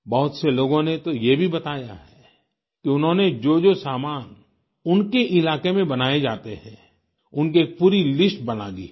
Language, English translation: Hindi, Many people have mentioned the fact that they have made complete lists of the products being manufactured in their vicinity